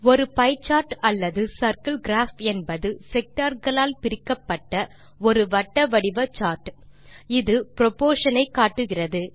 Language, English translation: Tamil, A pie chart or a circle graph is a circular chart divided into sectors, illustrating proportion